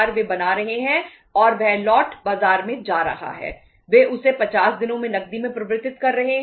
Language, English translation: Hindi, They are converting that into cash into 50days